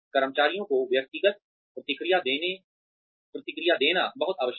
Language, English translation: Hindi, It is very very essential to give individual feedback to the employees